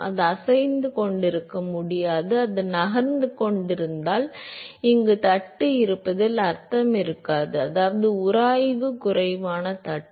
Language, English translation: Tamil, It cannot be cannot be moving, if it is moving then there will no meaning to have a plate here where which means it is a friction less plate